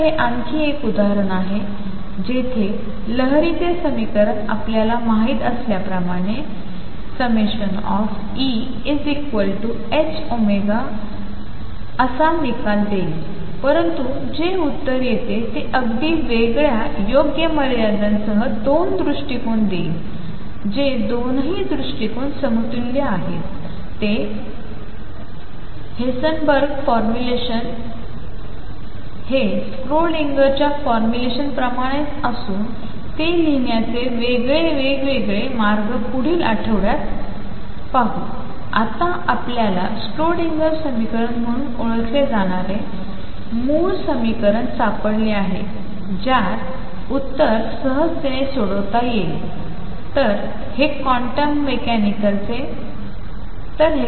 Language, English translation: Marathi, So, this is another instance where the wave equation has give me given me the results already known delta e is h cross omega, but the answer that comes is through a very different approach by solving a wave equation with appropriate boundary conditions are the 2 approaches equivalent is Heisenberg’s formulation the same as Schrodinger’s formulation is just that is 2 different ways of writing this will explore next week for the time being we have now found a fundamental equation known as a Schrodinger equation which gives the same answers in the cases that we have solved as other theories